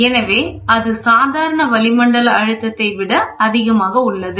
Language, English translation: Tamil, So, then it is above the local atmospheric pressure